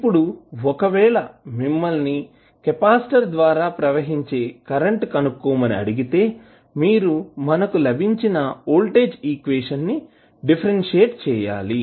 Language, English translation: Telugu, Now, if you are asked to find out the current through the capacitor you have to just simply differentiate the voltage equation which we have got